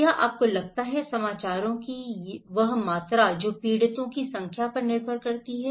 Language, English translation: Hindi, Do you think, that volume of news that depends on number of victims